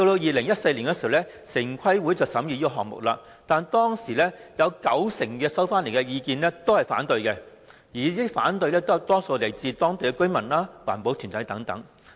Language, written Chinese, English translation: Cantonese, 2014年，城規會審議這個項目時，在所接獲的意見中，九成是反對意見，而這些反對聲音多數來自當區居民和環保團體等。, When TPB considered the project in 2014 90 % of the views received opposed the project . Such views were expressed mostly by local residents and green groups etc